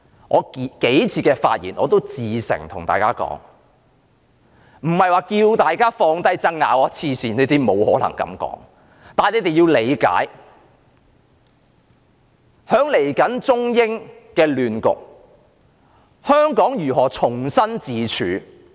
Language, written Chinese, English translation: Cantonese, 我數次的發言至誠地告訴大家，我並非要求大家放下爭拗，神經病，我不可能這樣說，但大家要理解，在未來的中美亂局中，香港如何重新自處？, In a number of my previous speeches I said with all sincerity that I was not asking Members to set aside their disputes . That is ludicrous and I would not have made such remarks . However Members have to understand how Hong Kong should position itself in the China - United States turmoil